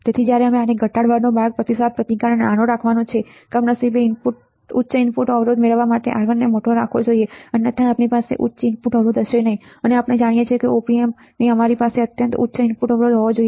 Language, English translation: Gujarati, So, when the way to minimize this is by, is by keeping the feedback resistance small, unfortunately to obtain high input impedance R1 must be kept large right R1 should be large otherwise we will not have high input impedance and we know that in Op Amp we should have extremely high input impedance